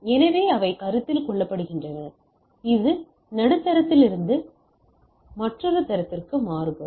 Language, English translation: Tamil, So those will be there and those are consideration, it varies from medium to medium